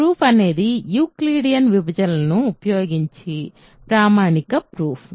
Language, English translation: Telugu, So, the proof is a standard proof using Euclidean divisions